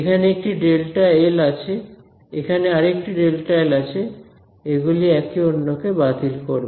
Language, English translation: Bengali, There is a delta l here and there is a delta l here, these will cancel off